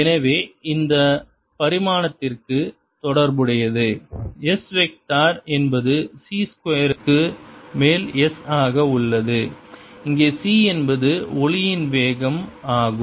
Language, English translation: Tamil, so this is related to this is the dimension of this, the s vector, as as over c square, where c is the speed of light